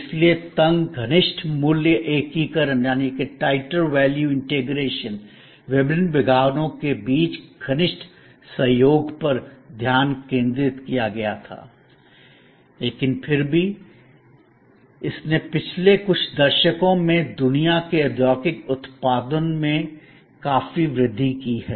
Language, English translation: Hindi, So, the focus was on tighter value integration, closer cooperation among the various departments, but it still, it increased worlds industrial output significantly over the last few decades